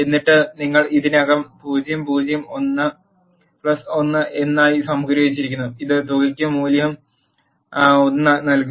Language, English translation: Malayalam, And then you have already sum as 0, 0 plus 1 is 1 and it will assign value 1 to the sum